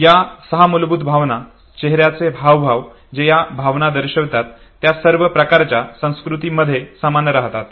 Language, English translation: Marathi, These six basic emotions, the facial expressions that represent these emotions they remain the same across the culture